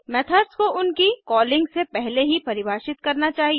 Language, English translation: Hindi, Methods should be defined before calling them